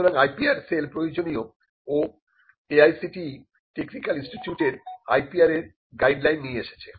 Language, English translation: Bengali, So, the IPR cell is required and AICTE has also come up with a guidelines for IPR for technical institutes